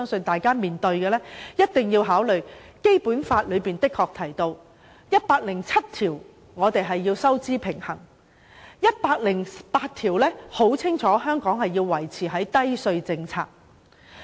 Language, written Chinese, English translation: Cantonese, 我們亦一定要考慮，《基本法》第一百零七條規定香港要力求收支平衡，第一百零八條則清楚訂明要實行低稅政策。, It is also necessary for us to consider the requirements of the Basic Law which stipulates clearly in Article 107 that Hong Kong shall strive to achieve a fiscal balance and in Article 108 that a low tax policy shall be pursued in Hong Kong